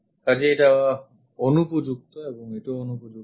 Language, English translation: Bengali, So, this is inappropriate and also this is inappropriate